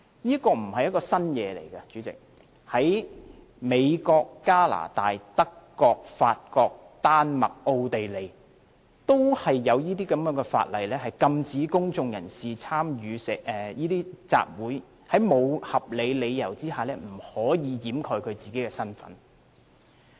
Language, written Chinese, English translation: Cantonese, 這並非新事物，代理主席，在美國、加拿大、德國、法國、丹麥和奧地利都有這項法例，禁止公眾人士在參與集會時，在沒有合理理由下掩飾自己的身份。, It is nothing new . Deputy President the United States Canada Germany France Denmark and Austria have all enacted such a law to forbid the concealment of identity without valid reasons by the public in assemblies